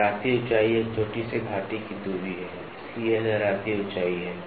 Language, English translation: Hindi, Waviness height is the distance between peak to valley, so this is waviness height